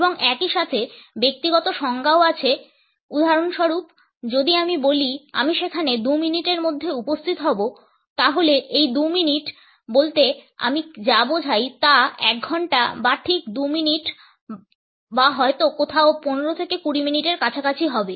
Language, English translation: Bengali, And at the same time there are personal definitions also for example, if I say I would be there within 2 minutes then what exactly I mean by these 2 minutes would it be 1 hour or exactly 2 minutes or maybe somewhere around 15 to 20 minutes